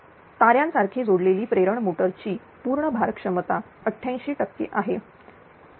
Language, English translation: Marathi, Star connected induction motor has a full load efficiency of 88 percent 0